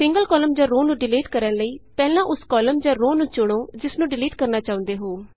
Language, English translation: Punjabi, For deleting a single column or a row, first select the column or row you wish to delete